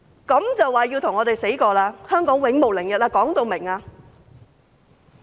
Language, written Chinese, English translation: Cantonese, 這樣便說要與我們拼死，說要香港永無寧日？, Do they want a fatal duel with us and deprive Hong Kong of peace forever because of that?